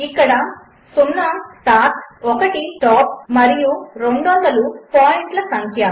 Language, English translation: Telugu, Here,0 is the start , 1 the stop and 200 the number of points